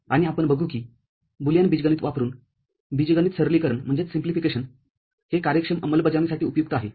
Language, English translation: Marathi, And we shall see that algebraic simplification using Boolean algebra is useful for efficient implementation